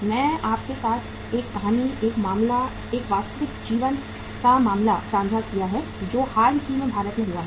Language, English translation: Hindi, I have shared with you a story, a case, a real life case that happened recently in India